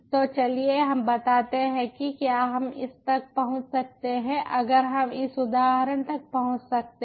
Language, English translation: Hindi, so lets say if we can access this